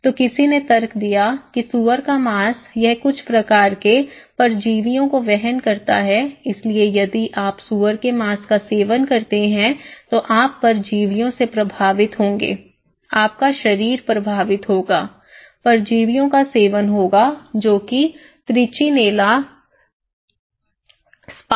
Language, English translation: Hindi, So, somebody argued that the pork it carries some kind of parasites so, if you are eating, consuming pork you will be affected by parasites, your body will be affect, consuming also parasites; Trichinella spiralis